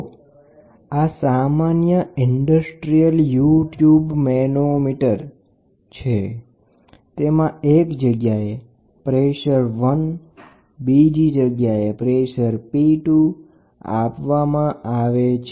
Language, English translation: Gujarati, So, this is a typical industrial U tube manometer you have a pressure 1 and then you have a pressure 2 which is applied